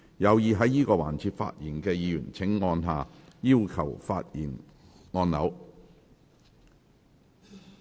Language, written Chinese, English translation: Cantonese, 有意在這個環節發言的議員請按下"要求發言"按鈕。, Members who wish to speak in this session will please press the Request to speak button